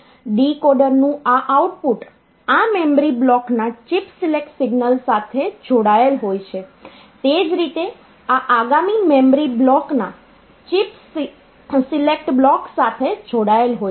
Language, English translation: Gujarati, So, this chips it is so this line is connected to the chip select signal of this memory block similarly this is connected to the chips select block of the next memory block